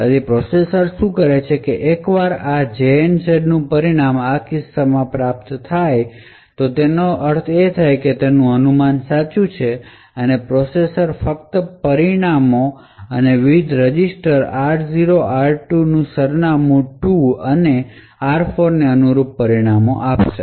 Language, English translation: Gujarati, So what the processor does is that once this the result of this jump on no 0 is obtained in this case it means that the speculation is correct, the processor would only commit the results and the results corresponding to the various registers r0, r2 address 2 and r4 would be actually committed